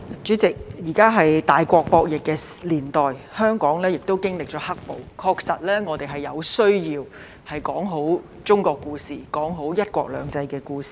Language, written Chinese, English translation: Cantonese, 主席，現時是大國博弈的年代，香港經歷了"黑暴"，確實有需要說好中國故事，說好"一國兩制"的故事。, President we have entered an era of great power game . In the aftermath of the black - clad violence Hong Kong does need to tell the China story well tell the one country two systems story well